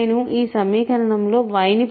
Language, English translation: Telugu, I get y this equation